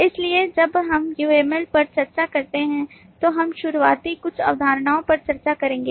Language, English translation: Hindi, so while we discuss uml we will over discuss some of the starting from the early concept